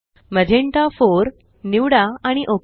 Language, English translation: Marathi, Choose Magenta 4 and click OK